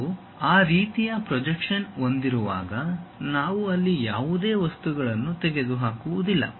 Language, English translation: Kannada, When we have that kind of projection, we did not remove any material there